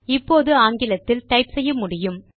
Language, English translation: Tamil, We can now type in English